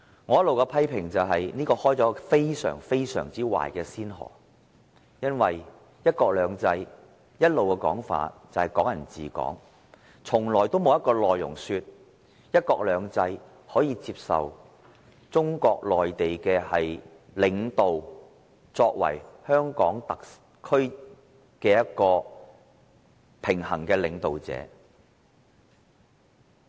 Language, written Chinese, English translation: Cantonese, 我一直批評此舉開了一個非常壞的先河，因為"一國兩制"一向的說法是"港人治港"，從來沒有一個說法是，"一國兩制"可以接受中國內地的領導出任香港特區的平衡領導人。, I have condemned the appointment for setting an extremely bad precedent . Hong Kong people ruling Hong Kong is always mentioned under one country two systems and it has never been mentioned that a leader of Mainland China may assume the office of the SAR leader in parallel under one country two systems